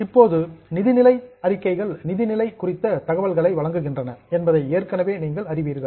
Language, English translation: Tamil, Now you already know that financial statements records or the provides information for about financial status